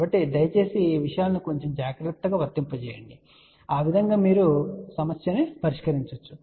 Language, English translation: Telugu, So, please apply these things little bit more carefully and that way you can solve the problem